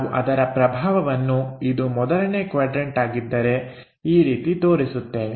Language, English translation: Kannada, So, that we show that impression, if it is 1st quadrant in that way